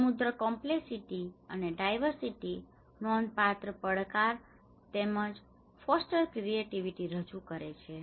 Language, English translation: Gujarati, The rich complexity and diversity presents a significant challenge as well as foster creativity